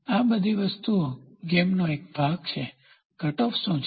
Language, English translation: Gujarati, All these things are part of the game what is cutoff